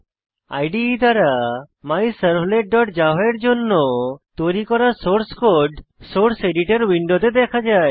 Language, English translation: Bengali, The source code created by the IDE for MyServlet.java is seen in the Source Editor Window